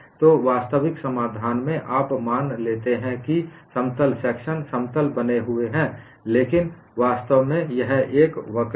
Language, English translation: Hindi, So, in actual solution, you assume plane sections remain plane, but in reality, it is a curve